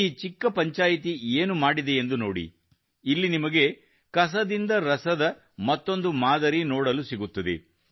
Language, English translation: Kannada, See what this small panchayat has done, here you will get to see another model of wealth from the Waste